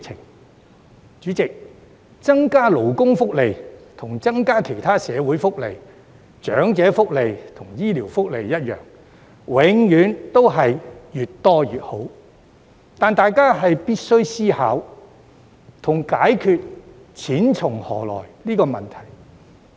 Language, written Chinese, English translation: Cantonese, 代理主席，增加勞工福利，與增加其他社會福利、長者福利和醫療福利一樣，總是越多越好，但大家必須思考錢從何來的問題。, Deputy President when it comes to increasing labour benefits just like other social welfare elderly and medical benefits people always opt for more . However we must consider the question of where the money comes from